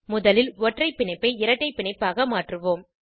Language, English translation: Tamil, Lets first convert single bond to a double bond